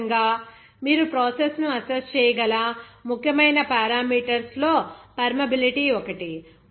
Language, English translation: Telugu, Similarly, permeability is one of the important parameters based on which you can assess the process